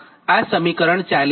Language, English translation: Gujarati, this is equation forty